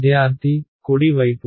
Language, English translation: Telugu, The right hand side